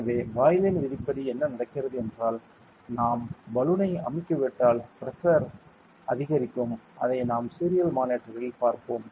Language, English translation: Tamil, So, according to the Boyle’s low what happens is if we compress the balloon the pressure will go up and we will see that on the serial monitor ok